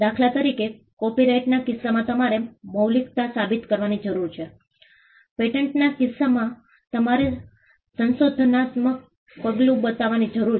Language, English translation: Gujarati, For instance, in the case of copyright you need to prove originality; in the case of patents you need to show inventive step